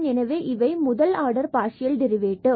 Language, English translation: Tamil, So, these are the first order partial derivatives